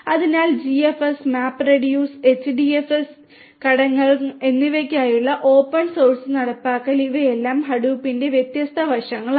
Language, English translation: Malayalam, So, open source implementation for GFS and MapReduce and MapReduce and HDFS components, these are all the different aspects of Hadoop